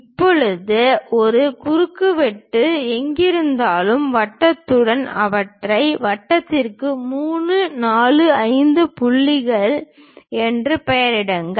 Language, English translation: Tamil, Now, wherever these intersections are there with the circle name them as 3, 4, 5 points for the circle